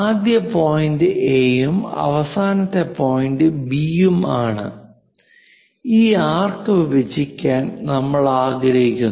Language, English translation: Malayalam, Let us call some point A, let us call another point B and this arc from A to B; we would like to dissect it